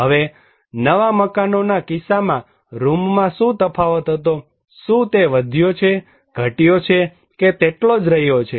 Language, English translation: Gujarati, Now, what was the variation in the rooms in case of new houses, is it increased, decreased, remain same